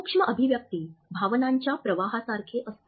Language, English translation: Marathi, Micro expressions are like leakages of emotions